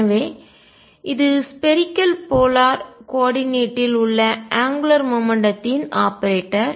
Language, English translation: Tamil, So, this is the angular momentum operator in spherical polar coordinates